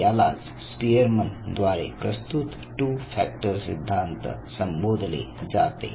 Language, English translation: Marathi, So, this was the two factor theory proposed by Spearman